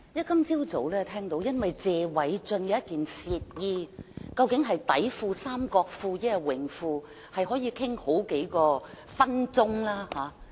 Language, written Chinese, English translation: Cantonese, 今天早上，聽到因為謝偉俊議員的一件褻衣，究竟是內褲、三角褲，還是泳褲，也可以談好幾分鐘。, This morning I heard the meeting spend a good few minutes discussing a piece of undergarment worn by Mr Paul TSE debating whether it was a pair of underpants briefs or swimming briefs